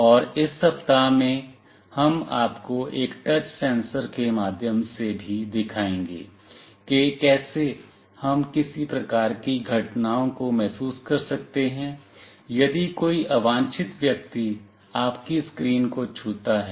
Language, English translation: Hindi, And in this week, we will also show you through a touch sensor, how we can sense some kind of events, if an unwanted people touches your screen